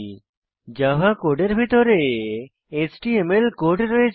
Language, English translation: Bengali, JSPs contain Java code inside HTML code